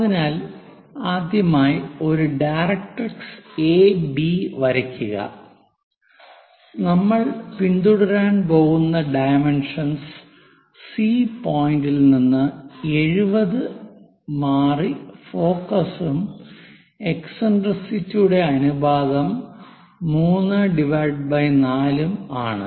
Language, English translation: Malayalam, So, first of all, draw a directrix AB and the dimensions what we are going to follow is focus from this C point supposed to be 70 and eccentricity ratio is 3 by 4